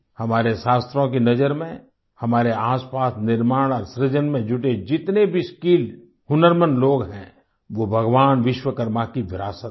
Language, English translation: Hindi, In the view of our scriptures, all the skilled, talented people around us engaged in the process of creation and building are the legacy of Bhagwan Vishwakarma